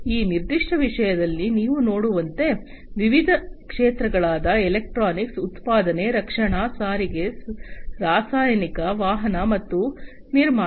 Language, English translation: Kannada, And in this particular plot, as you can see, for different sectors electronics, manufacturing, defense, transportation, chemical, automotive, and construction